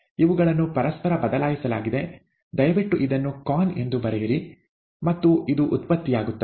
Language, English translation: Kannada, This , these have been interchanged, please write this as consumed con, and this is generated